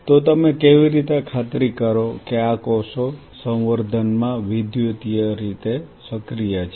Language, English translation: Gujarati, So, how you ensured that these cells are electrically active in the culture